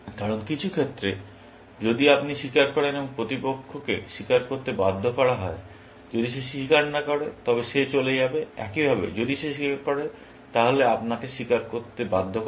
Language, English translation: Bengali, Because in some sense, if you confess, and the opponent is forced to confess, if he does not confess, he will go off, likewise, if he confesses, then you are forced to confess, essentially